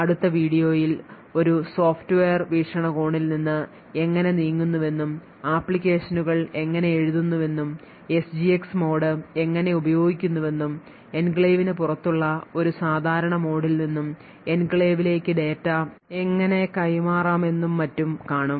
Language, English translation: Malayalam, In this video we had a brief introduction to Intel SGX in the next video will look at how a move from a software perspective and see how applications are written how the SGX mode is used and how data can be transferred from a normal mode outside the enclave into the enclave and get the result and so on, thank you